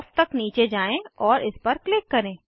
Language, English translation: Hindi, scroll down to Off and click on it